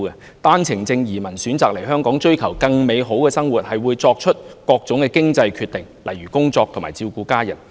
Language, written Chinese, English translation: Cantonese, 持單程證人士選擇移居香港，為追求更美好的生活，他們會作出各種經濟決定，例如工作和照顧家人。, OWP holders choose to settle in Hong Kong in pursuit of a better living . They will make various financial decisions such as whether to work or to look after their families